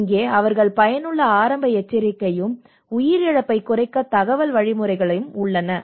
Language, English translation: Tamil, Here they have effective early warning and the information mechanisms in place to minimise the loss of life